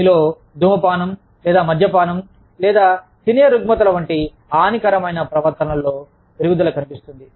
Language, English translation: Telugu, Increase in, deleterious behavior, like smoking, or alcoholism, or eating disorders